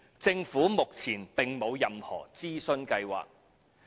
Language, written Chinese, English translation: Cantonese, 政府目前並無任何諮詢計劃。, At present we have no plan to conduct consultation